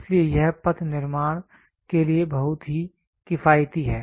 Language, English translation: Hindi, So, that it is very economical for producing the path